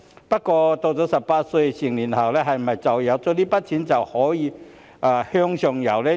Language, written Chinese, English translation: Cantonese, 不過，他們到了18歲成年後，是否因有這筆錢而可以向上游呢？, However after they reach adulthood at the age of 18 can they move upwards with this sum of money?